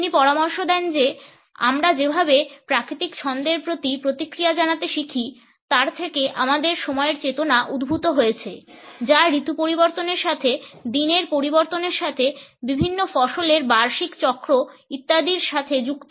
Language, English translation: Bengali, He suggests that our consciousness of time has emerged from the way we learn to respond to natural rhythms, which were associated with changes in the season, with changes during the days, annual cycles of different crops etcetera